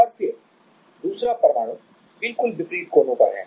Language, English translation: Hindi, And then, the other atom is at the just the opposite corners